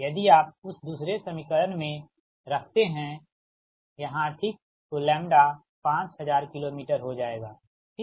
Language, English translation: Hindi, if you put in that second equation here, right, lambda will become five thousand kilo meter, right